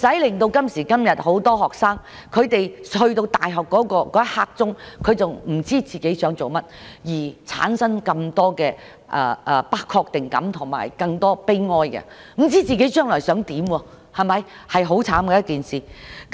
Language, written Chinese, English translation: Cantonese, 現時很多學生將要升讀大學的時候，仍不知道自己想做甚麼，因而產生不確定感和感到悲哀，不知道自己將來想做甚麼是很悽慘的。, Nowadays many students go to university without an idea of what they want to do which leads to feelings of uncertainty and sadness . It is really miserable not to know what you want to do in your future